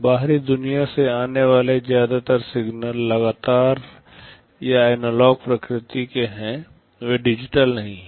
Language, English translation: Hindi, Most of the signals that are coming from the outside world they are continuous or analog in nature, they are not digital